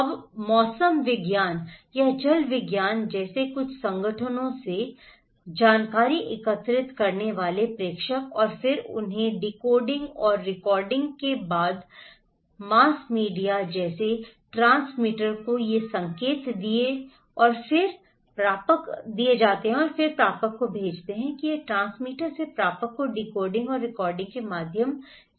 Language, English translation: Hindi, Now senders collecting informations from some organizations like meteorology or hydrology and then they passed these informations to the transmitter like mass media after decoding and recoding and then they send it to the receiver and also these goes from transmitter to the receiver through decoding and recoding